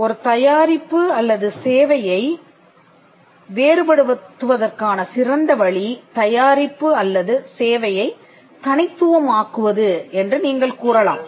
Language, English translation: Tamil, You may say that, the best way to distinguish a product or a service is by making the product unique or the service unique